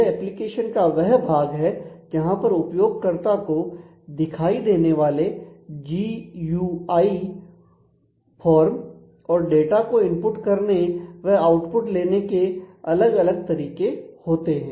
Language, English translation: Hindi, So, it is the layer where it is the part of the application where there are forms GUIs and different ways to input as well as get output of the data